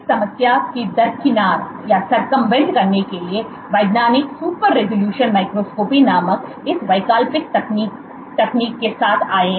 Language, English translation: Hindi, So, to circumvent this problem, scientists have come up with this alternate technique called super resolution microscopy